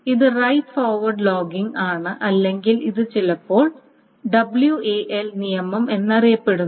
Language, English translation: Malayalam, So this is the right ahead logging or this is sometimes known as the wall rule, WAL, because it's a right ahead logging